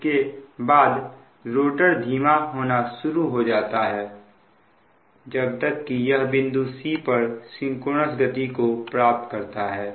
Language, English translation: Hindi, rotor will start decelerating till it achieves its synchronous speed, say at point c